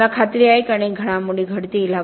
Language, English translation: Marathi, I am sure there will be many developments